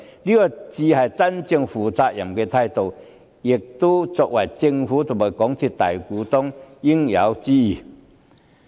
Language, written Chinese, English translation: Cantonese, 這才是真正負責任的態度，也是作為政府及港鐵公司大股東的應有之義。, This is a truly responsible attitude that should be adopted by the Government as the major shareholder of MTRCL